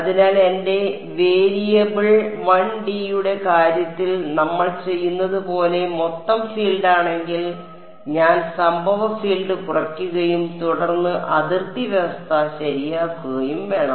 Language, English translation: Malayalam, So, if my variable is total field like we are done in the case of 1D I have to subtract of the incident field and then impose the boundary condition right